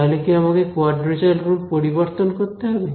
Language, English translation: Bengali, Do I need to change the quadrature rule